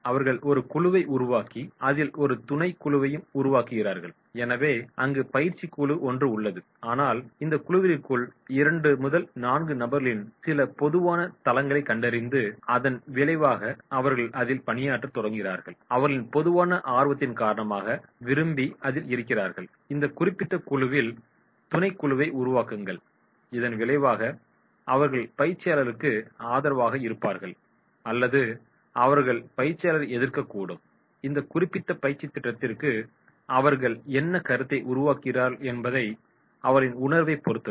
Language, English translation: Tamil, They make a group, subgroups are made into the group so training group is there but within that group 2 4 persons find some common platform and as a result of which they start working on that and then they will have because of common interest they will form the subgroup in that particular group as a result of which either they will be supportive to the trainer or they may object to the trainer, it is about their perception what perception they create for this particular training program